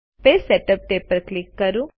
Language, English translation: Gujarati, Click the Page Setup tab